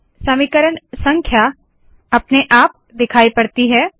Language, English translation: Hindi, So equation numbers have appeared automatically